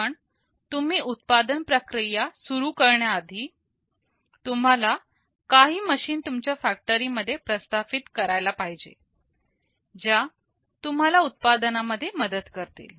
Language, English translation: Marathi, But before you start the manufacturing process, you will have to install some machines in your factory that will help you in the manufacturing